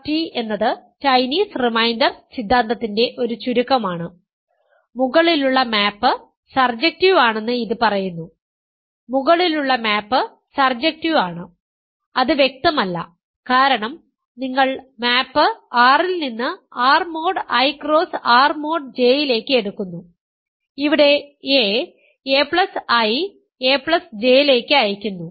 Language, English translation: Malayalam, So, CRT it is a standard abbreviation for Chinese reminder theorem, it says that the above map is surjective, the above map is surjective which is not clear a priori, because you are taking the map from R to R mod I cross R mod J with sends a to a plus I comma a plus J is the same element